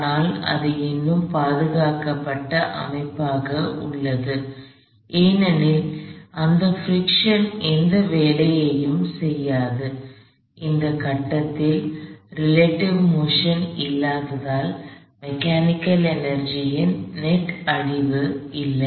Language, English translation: Tamil, But, it is still a conserved system primarily because that friction does no work, there is no relative motion at this point and because there is no relative motion at that point, there is no net destruction of mechanical energy